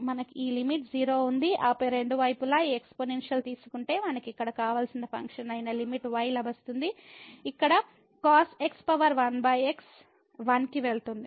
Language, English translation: Telugu, So, we have this limit is 0 and then taking this exponential both the sides we will get the limit which was the desired function here power 1 over it goes to 1